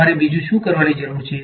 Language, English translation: Gujarati, What else do you need to do